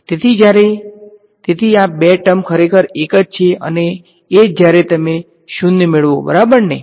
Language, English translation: Gujarati, So, these two terms are actually one and the same when you get a 0 ok